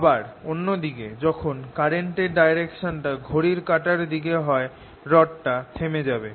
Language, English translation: Bengali, on the other hand, when it goes clockwise, it is stopped